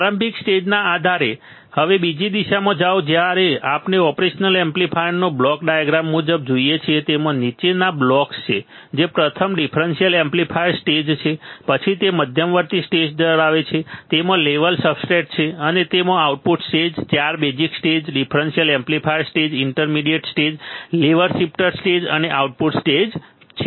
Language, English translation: Gujarati, Go to the other direction depending on the initial stage now when we see the operation amplifier according the block diagram according to block diagram of the operation amplifier it has following blocks first is the differential amplifier stage, then it has intermediate stage it has a level substrates and it has a output stage 4 basic stages differential amplifier stage intermediate stage level shifter stage and output stage